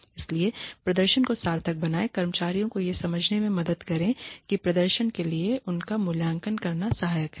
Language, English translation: Hindi, So, make the performance worthwhile make the employees help the employees understand that evaluating them for performance is helpful